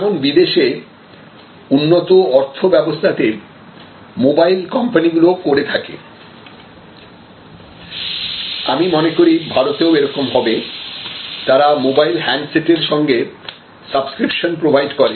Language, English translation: Bengali, So, many mobile companies abroad in developed economies and I think soon it will happen in India too, they actually provide you handsets along with a subscriptions